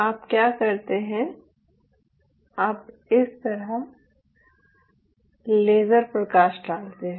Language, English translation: Hindi, you shine a laser like this